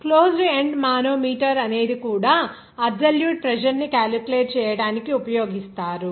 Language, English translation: Telugu, A closed end manometer also used to actually calculate the absolute pressure